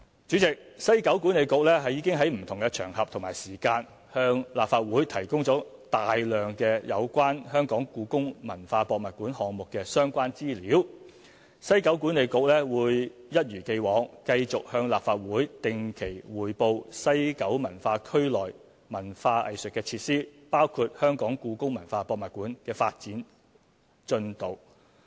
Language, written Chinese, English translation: Cantonese, 主席，西九管理局已在不同場合和時間，向立法會提供大量有關故宮館項目的相關資料，西九管理局會一如既往，繼續向立法會定期匯報西九文化區內文化藝術設施，包括故宮館的發展進度。, President WKCDA has on various occasions and at different times provided a lot of information on the HKPM project to the Legislative Council . WKCDA will as in the past report on the progress of development of cultural and arts facilities in WKCD including HKPM to the Legislative Council